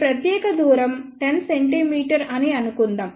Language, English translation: Telugu, So, let us assume that this particular distance is 10 centimeter